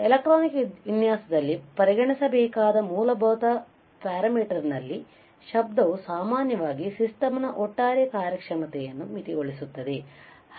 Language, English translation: Kannada, Noise in fundamental parameter to be considered in an electronic design it typically limits the overall performance of the system